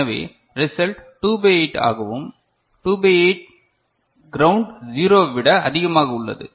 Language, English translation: Tamil, So, the result is 2 by 8, 2 by 8 is still more than ground 0